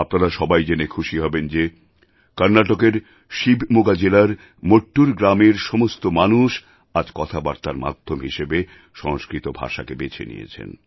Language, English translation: Bengali, You will be pleased to know that even today, residents of village Mattur in Shivamoga district of Karnataka use Sanskrit as their lingua franca